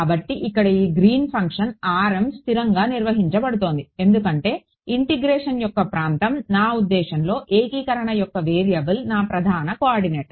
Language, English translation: Telugu, So, here in this Green's function r m is being held constant because the region of integration is I mean the variable of integration is my prime coordinate